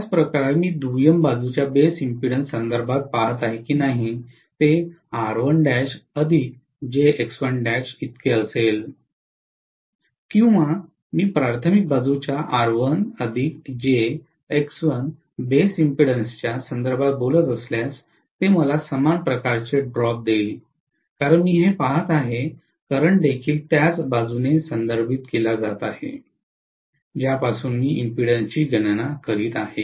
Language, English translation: Marathi, The same way whether I am looking at R1 dash plus JX 1 dash with respect to the base impedance of the secondary side or if I talk about R1 plus JX 1 with reference to the base impedance of the primary side, it will essentially give me the same kind of drop because I am looking at this current also being refered to the same side, from which I am calculating the impedance